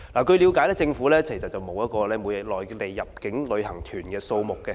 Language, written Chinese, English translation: Cantonese, 據了解，政府並沒有每日內地入境旅行團的數字。, It is understood that the Government does not keep track of the daily number of Mainland inbound tour groups